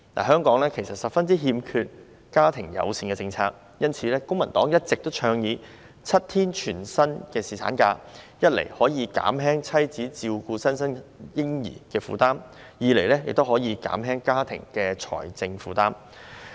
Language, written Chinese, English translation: Cantonese, 香港十分欠缺家庭友善政策，因此公民黨一直倡議設立7天全薪侍產假，一方面可以減輕產後母親照顧新生嬰兒的負擔，另一方面也可減輕家庭的財政負擔。, Hong Kong is very lacking in family - friendly policies . That is why the Civic Party has been advocating the introduction of a seven - day full - pay paternity leave which can reduce the burden on the postpartum mother to care for the newborn baby and on the other hand relieve the financial burden on the family